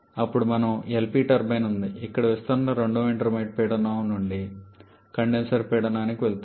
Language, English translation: Telugu, Then we have the LP turbine where expansion goes from the second intermediate pressure to the condenser pressure